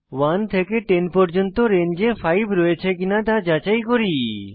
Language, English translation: Bengali, Now lets check whether 5 lies in the range of 1 to 10